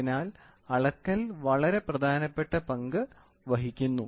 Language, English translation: Malayalam, So, measurement plays a very very important role